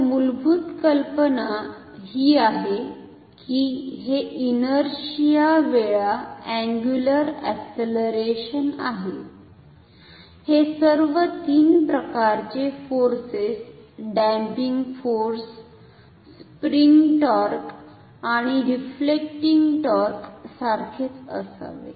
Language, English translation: Marathi, So, the basic idea is that this is the inertia times the angular acceleration, this should be same as the sum of all the three types of forces damping force, spring torque and the deflecting torque ok